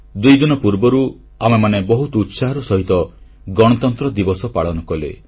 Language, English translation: Odia, Just a couple of days ago, we celebrated our Republic Day festival with gaiety fervour